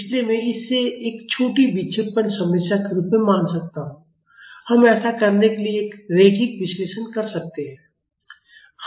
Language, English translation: Hindi, So, I can consider it as a small deflection problem, we can do a linear analysis to do that